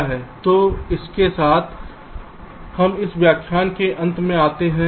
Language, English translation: Hindi, so so with this we come to the end of this lecture